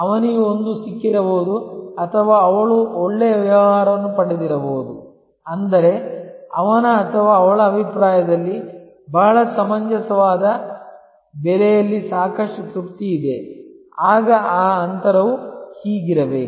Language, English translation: Kannada, He might have got a or she might have got a very good deal; that means, a lot of satisfaction for in his or her opinion in a very reasonable price, then that gap should have been this